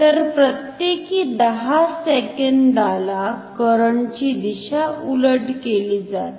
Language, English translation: Marathi, So, every 10 second the direction of the current is reversed